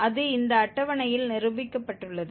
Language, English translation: Tamil, That is demonstrated in this table